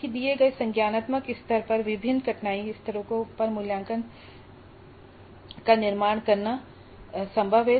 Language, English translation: Hindi, So, at a given cognitive level it is possible to construct assessment items at different cognitive, different difficulty levels